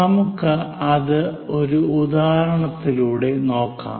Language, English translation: Malayalam, Let us look at that through an example